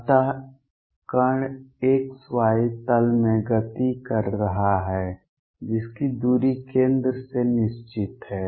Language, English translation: Hindi, So, particle is moving in x y plane with its distance fixed from the centre